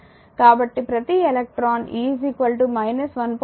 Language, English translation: Telugu, So, each electron has e is equal to minus 1